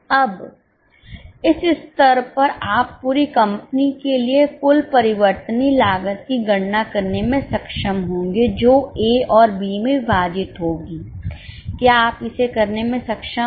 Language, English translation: Hindi, Now at this stage you will be able to compute the total variable cost for the whole company segregated into A and B